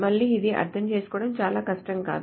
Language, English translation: Telugu, Again, this is not very hard to understand